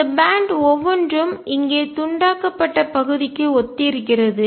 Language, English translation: Tamil, And each of this band corresponds to the shredded region here